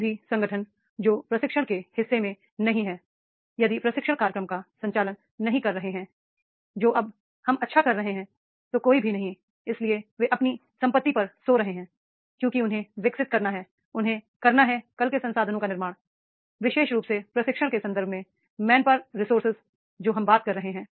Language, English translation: Hindi, Any organization which is not in the part of the training, if not conducting the training programs, they are doing good, so there is no, so they are sleeping on their assets because they have to develop, they have to create the resources for tomorrow, especially main power resources, you know in the context of the training what we are talking about